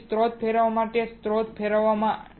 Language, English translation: Gujarati, So, for rotating the source rotating the source